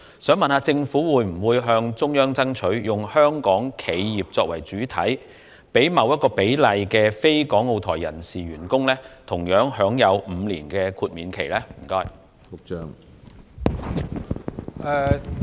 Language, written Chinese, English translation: Cantonese, 請問政府會否向中央爭取，以香港企業為主體，讓一定比例的非港澳台員工同樣享有5年豁免期？, Will the Government ask the Central Authorities to take Hong Kong enterprises as the mainstay and allow a certain proportion of employees who are not from Hong Kong Macao and Taiwan to enjoy the same five - year exemptions?